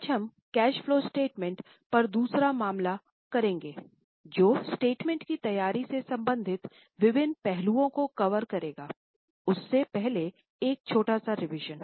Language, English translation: Hindi, Today we will do second case on cash flow statement which will cover various aspects related to preparation of the statement